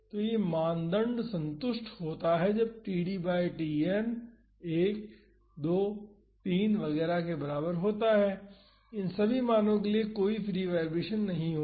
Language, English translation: Hindi, So, this criteria is satisfied when td by Tn is equal to 1 2 3 etcetera so, for these values there would not be any free vibration